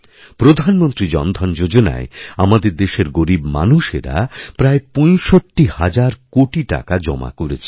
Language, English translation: Bengali, In the Pradhan Mantri Jan Dhan Yojna, almost 65 thousand crore rupees have deposited in banks by our underprivileged brethren